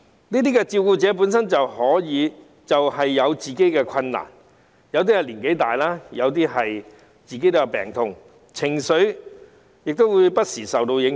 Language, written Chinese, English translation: Cantonese, 這些照顧者本身也有自己的困難，有些年紀大，有些本身也有病痛，情緒亦不時會受到影響。, These carers may have their own difficulties as some are them may be old suffering from illnesses themselves and have emotional from time to time